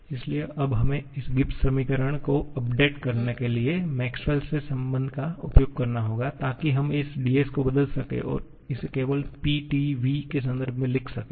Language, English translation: Hindi, Similarly, dh incorporates ds, so now we have to make use of this Maxwell’s relation to update this Gibbs equation so that we can replace this ds and write this only in terms of T, P and specific volume